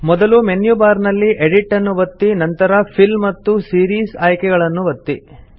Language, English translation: Kannada, Now click on the Edit in the menu bar and then on Fill and Series option